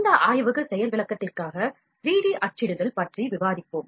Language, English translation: Tamil, In this lab demonstration, we will just discuss the 3D printing